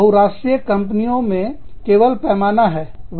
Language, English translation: Hindi, In multinational, it is only scale